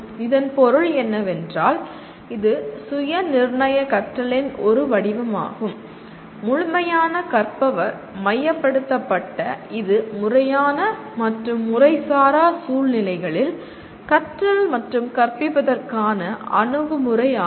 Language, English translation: Tamil, What it means is, it is a form of self determined learning that is holistic learner centered approach to learning and teaching in formal and informal situations